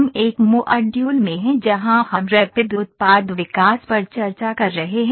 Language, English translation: Hindi, We are in a module where we are discussing Rapid Product Development